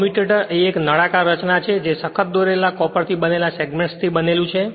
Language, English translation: Gujarati, A commutator is a cylindrical structure built up of segments made up of hard drawn copper